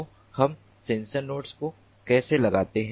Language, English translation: Hindi, so how do we place the sensor nodes